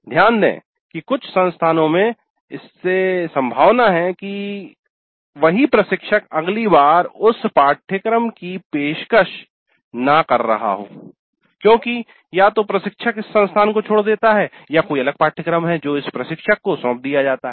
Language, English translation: Hindi, Now notice that in some of the institutes it is quite possible that the instructor may not be offering the course next time either because the instructor leaves this institute or there is a different course which is assigned to this instructor